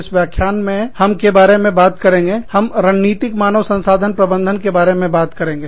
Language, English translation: Hindi, Today, we will talk about, in this lecture, we will talk about, Strategic Human Resource Management